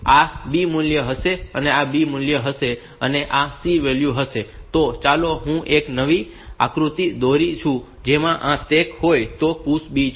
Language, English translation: Gujarati, And this will be the C value, let me draw a fresh diagram like, if this is the stack then this PUSH B